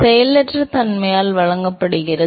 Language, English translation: Tamil, So, deltaPy is given by the inertial